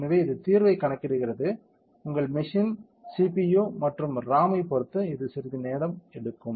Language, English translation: Tamil, So, it is computing the solution, it will take some time depending on the CPU and RAM of your meshing